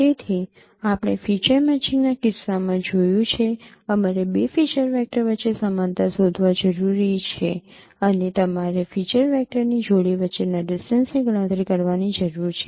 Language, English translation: Gujarati, So we have seen in the case of feature matching we required to find out similarities between two feature vectors or you need to compute distances between a pair of feature vectors